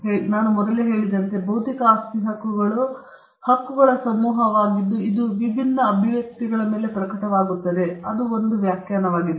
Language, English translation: Kannada, Because, as I said earlier, intellectual property rights are a group of rights, which manifest on different expressions of ideas that is one definition of it